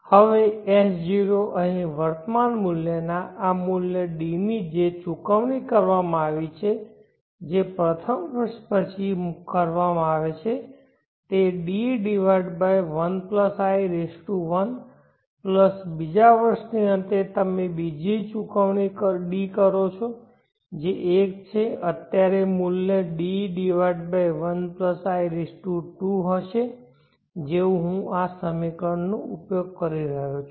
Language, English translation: Gujarati, Now S0 the present worth here of this value D which has been a payment that is made out of the first year would be B/+1+I1 plus at the end of the second year you make another payment D which is 1 the present worth here would be T/1+I2 as I am using this equation